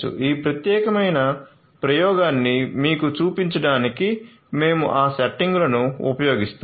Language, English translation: Telugu, So, we will be using those settings for showing you this particular experiment